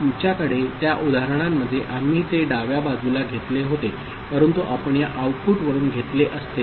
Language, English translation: Marathi, We had in that example we had taken it from the left hand side, but we could have taken from this output also